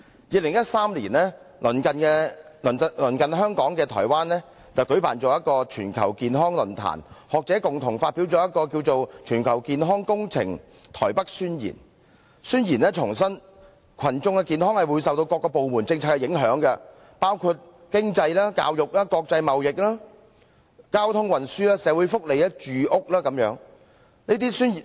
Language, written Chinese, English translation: Cantonese, 2013年，鄰近香港的臺灣舉行了全球健康論壇，學者共同發表名為"全球健康工程臺北宣言"，宣言重申群眾的健康會受到各個部門政策的影響，包括經濟、教育、國際貿易、交通運輸、社會福利、住屋等。, In 2013 Taiwan which is adjacent to Hong Kong held a Global Health Forum and the intellectuals jointly published a Taipei Declaration on Global Development of Health in All Policies . This Declaration reiterates that public health will be affected by various departments policies spanning from economic education international trading transportation social welfare and housing